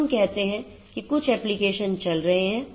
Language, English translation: Hindi, So, let us say that some application is running